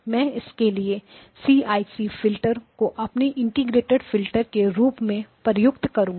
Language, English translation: Hindi, I am going to use a CIC filter as my integrated filter